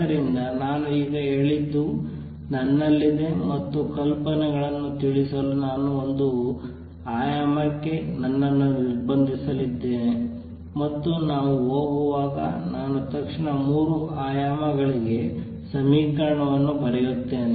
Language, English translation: Kannada, So, what I just now said is suppose I have and I am going to restrict myself to one dimension to convey the ideas and that I will immediately write the equation for 3 dimensions also as we go along